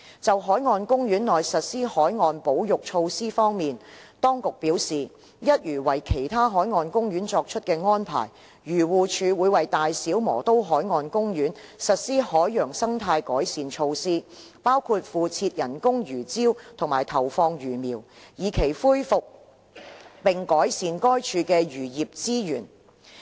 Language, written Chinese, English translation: Cantonese, 就海岸公園內實施海洋保育措施方面，當局表示，一如為其他海岸公園作出的安排，漁護署會為大小磨刀海岸公園實施海洋生態改善措施，包括敷設人工魚礁及投放魚苗，以期恢復並改善該處的漁業資源。, In respect of marine conservation measures inside BMP according to the Administration AFCD will implement marine ecological enhancement measures in BMP as in other marine parks . These measures include the placement of artificial reefs and the release of fish fry with a view to restoring and enhancing the fisheries resources there